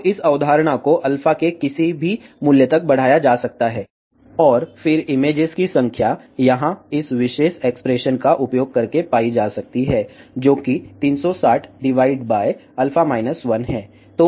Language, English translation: Hindi, So, this concept can be extended to any value of alpha, and then number of images n can be found using this particular expression here, which is 360 divided by alpha minus 1